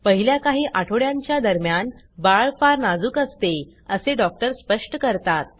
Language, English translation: Marathi, The doctor explains that during the first few weeks, the baby is very delicate